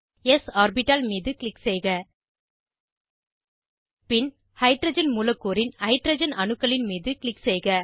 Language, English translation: Tamil, Click on s orbital, Then click on Hydrogen atoms of Hydrogen molecule